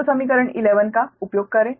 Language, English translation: Hindi, so use eq, equation eleven, use equation eleven